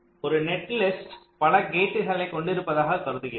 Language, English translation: Tamil, so we consider a netlist consist of a number of gates